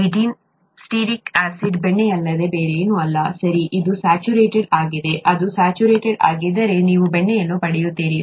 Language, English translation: Kannada, C18 stearic acid is nothing but butter, okay, it is saturated; if it is saturated you get butter